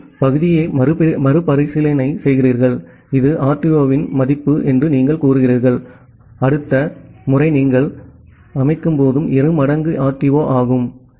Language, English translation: Tamil, You retransmit the segment then you set say this was the value of RTO, for the next time you set is as 2 times RTO